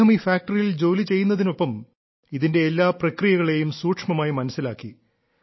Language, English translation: Malayalam, During his work in the factory, he understood the intricacies of the entire process in great detail